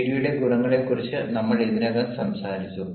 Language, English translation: Malayalam, we have already talked about the advantages of gd